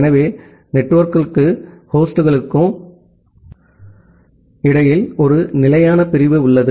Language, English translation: Tamil, So, you have a fixed division between the network and the host